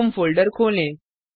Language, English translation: Hindi, Let us open the home folder